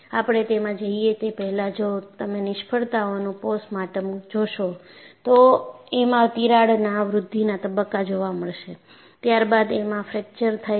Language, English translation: Gujarati, And before we go into that, if you see postmortem of failures, that would give you a mental picture, yes, there is a growth phase of crack, followed by fracture